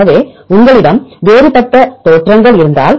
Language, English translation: Tamil, So, if you have different originations